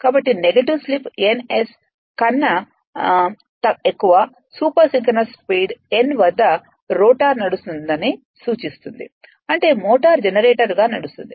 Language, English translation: Telugu, So, negative slip implies rotor running at super synchronous speed n greater than n s; that means, motor is runningas a generator right